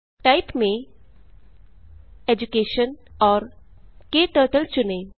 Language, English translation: Hindi, Under Type, Choose Education and KTurtle